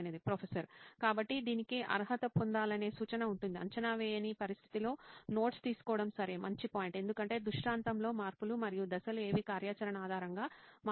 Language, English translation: Telugu, So suggestion would be to qualify this; taking notes in a non assessment situation, ok, good point, because the scenario changes and what the steps are will change based on the activity